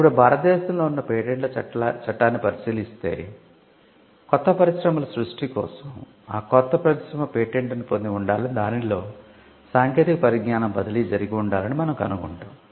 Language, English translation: Telugu, Now, if you look at the patents Act in India as well, you will find that creation of new industry patent should be granted for the creation of new industry, new industries and they should be transfer of technology